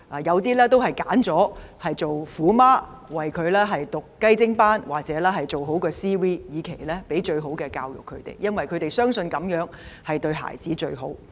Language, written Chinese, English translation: Cantonese, 有些家長選擇做"虎媽"，為子女報讀"雞精班"或做好 CV， 以期給他們最好的教育，因為他們相信這樣對子女最好。, Some parents have chosen to act as tiger moms . They would enrol their children in intensive tuition classes or prepare good CV for them with a view to giving them the best education because they believe these are best for their children